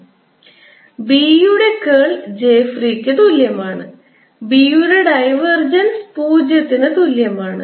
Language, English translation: Malayalam, curl of h is equal to j free and curl of b, divergence of b, is equal to zero